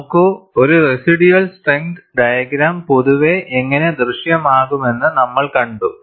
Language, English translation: Malayalam, See, we have seen how a residual strength diagram would in general appear